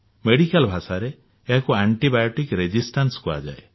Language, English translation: Odia, In medical parlance it is called antibiotic resistance